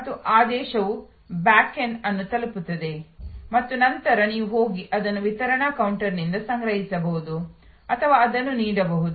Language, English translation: Kannada, And the order reaches the backend and then you can either go and collect it from the delivery counter or it can be served